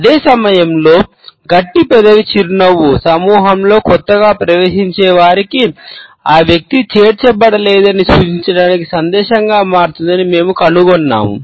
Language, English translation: Telugu, At the same time we find that the tight lipped smile also becomes a message to a new entrant in the group to suggest that the person is not included